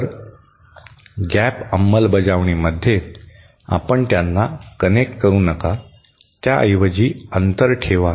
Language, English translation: Marathi, So, in a gap implementation you do not connect them, instead leave a gap between